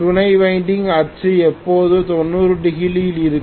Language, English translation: Tamil, Auxiliary windings axis will be always at 90 degrees to that